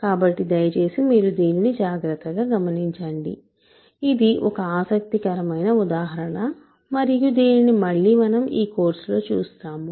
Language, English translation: Telugu, So, please make sure that you carefully follow this, this is an interesting example that we will encounter again in the course